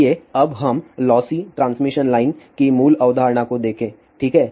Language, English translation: Hindi, Let us now look at the basic concept of lossy transmission line, ok